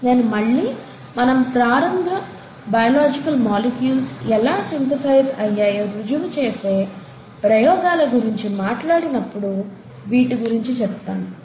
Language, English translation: Telugu, And I’ll come back to this when we talk about experiments which actually go on to prove how the initial biological molecules actually got synthesized